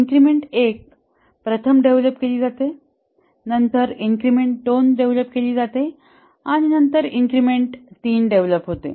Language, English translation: Marathi, Increment, okay, increment 1 is first developed, then increment 2 is developed, then increment 3 gets developed